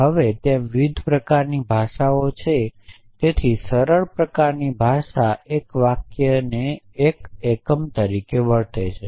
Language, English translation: Gujarati, Now, there are different kind of languages essentially so the simplest kind of language treats a sentence as 1 unit